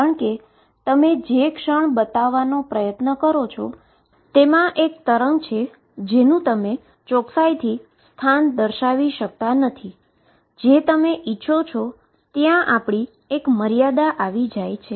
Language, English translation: Gujarati, Because the moment you try to show it has a wave it cannot be localized to the accuracy which you wish to have there is a limitation